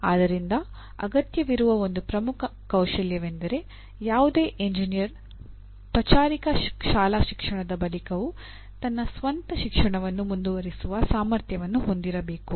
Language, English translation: Kannada, So one of the key skills that is required is any engineer should be able to, should have the ability to continue one’s own self education beyond the end of formal schooling